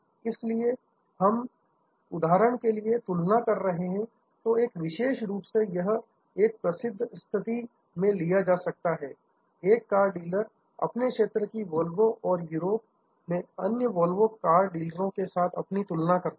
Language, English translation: Hindi, So, here if we are comparing say for example, a particular this is taken from a famous case, a car dealer, Village Volvo and comparing them with other Volvo car dealers in Europe